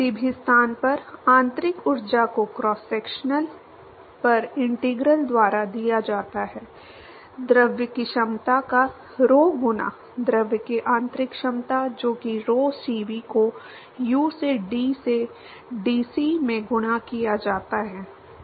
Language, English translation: Hindi, To the internal energy at any location is given by integral over the cross section, rho times the capacity of the fluid; internal capacity of the fluid, which is rho Cv multiplied by u into T into dc, right